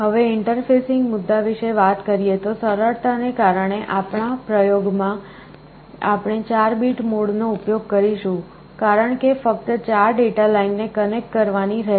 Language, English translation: Gujarati, Now talking about the interfacing issue; in our experiments because of simplicity, we shall be using the 4 bit mode, because only 4 data lines have to be connected